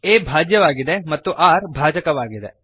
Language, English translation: Kannada, a is dividend and r is divisor